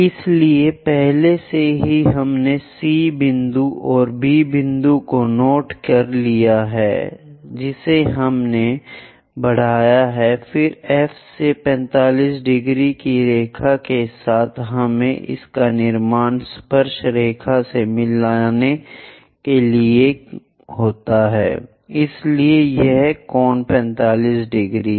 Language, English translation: Hindi, So, already we have noted C point and B point this we have extended, then from F a 45 degree line we have to construct it extend all the way down to meet tangent, so this angle is 45 degrees